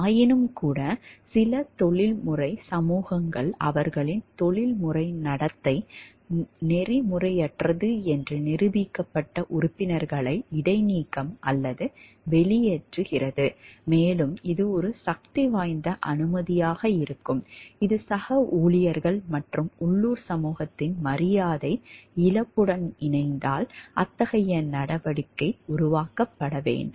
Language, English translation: Tamil, Yet some professional societies do suspend or expel members whose professional conduct has been proven unethical and this alone can be a powerful sanction when combined with the loss of respect from colleagues and the local community that such action is bound to produce